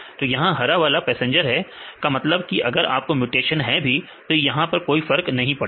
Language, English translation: Hindi, So, the green ones this is the passenger; that means, even if you have the mutations there is no change